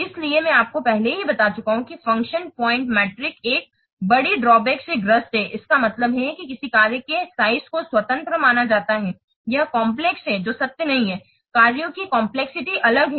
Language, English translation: Hindi, So I have already told you that function point matrix suffers from a major drawback, that means the size of a function is considered to be independent of its complexity, which is not true